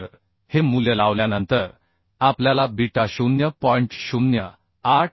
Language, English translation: Marathi, So after putting this value we will get beta as 0087